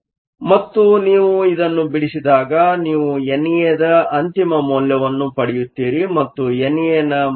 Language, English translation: Kannada, And when you solve you get the final value of N A and the value of N A is 3